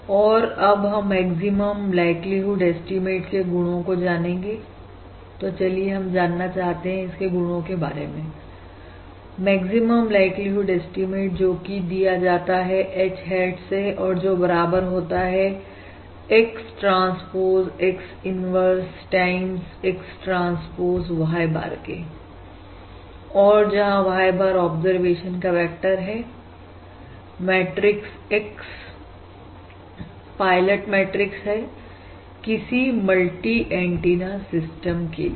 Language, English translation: Hindi, we would like to explore the properties of this maximum likelihood estimate, which is basically H hat equals X, transpose X inverse times, X transpose, Y bar, where Y bar is, of course, the vector of observations and the matrix X is the pilot matrix for this multi antenna system